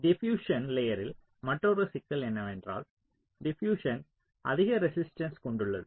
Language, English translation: Tamil, so an another problem with the diffusion layer is that diffusion is also having high resistance